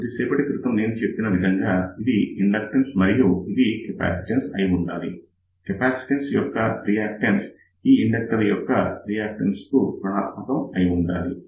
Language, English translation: Telugu, So, as I had just mentioned, if this is inductance this should be capacitance, the reactance of this capacitance should be negative of the reactance of this particular inductor